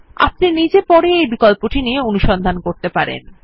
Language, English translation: Bengali, You can explore this option on your own later